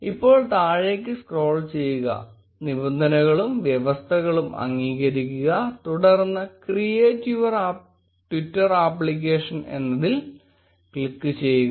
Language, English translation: Malayalam, Now scroll down, and agree to the terms and condition; and then click on create your twitter application